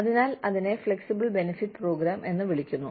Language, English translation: Malayalam, So, that is called, the flexible benefits program